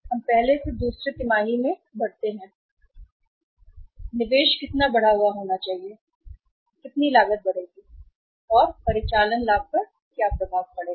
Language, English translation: Hindi, That from the first to second we move how much increased investment is required, how much cost will increase, and what will be the impact of on operating profit